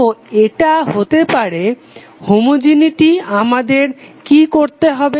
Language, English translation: Bengali, So this would be the case of homogeneity what we have to do